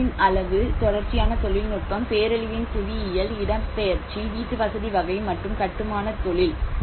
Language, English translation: Tamil, The materiality; the scale of destruction, the recurrent technology, the geography of the disaster, the displacement, the type of housing and the construction industry